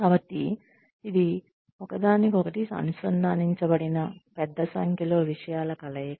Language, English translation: Telugu, So, it is a combination of, a large number of things, that are interconnected